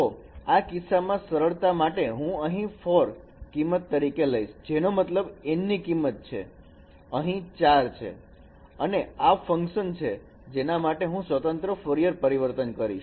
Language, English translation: Gujarati, So in this case for simplicity, let me take only four functional values and so which means my value of capital n is 4 here and this is the functions for which I will be doing discrete Fourier transform